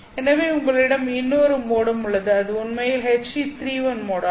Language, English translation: Tamil, So you also have another mode which is actually H